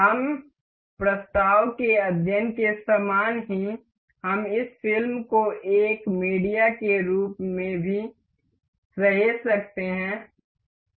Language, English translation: Hindi, Similar to like that we have done in this motion study, we can also save this movie as a media